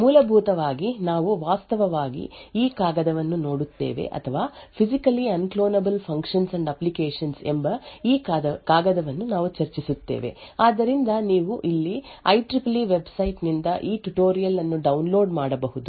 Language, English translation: Kannada, Essentially, we will be actually looking at this paper or we will be discussing this paper called Physically Unclonable Functions and Applications tutorial, So, you can download this tutorial from this IEEE website